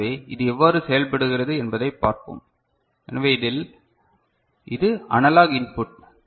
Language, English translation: Tamil, So, let us see how it works; so in this, this is the analog input